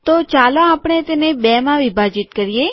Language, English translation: Gujarati, So let us break it into two